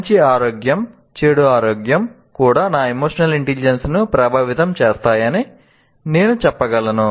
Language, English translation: Telugu, I can also say better health as well as bad health will also influence my emotional intelligence